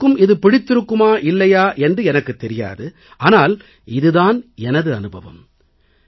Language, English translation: Tamil, I do not know if everyone likes this or not, but I am saying it out of personal experience